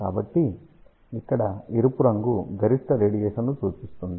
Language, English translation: Telugu, So, here color red implies maximum radiation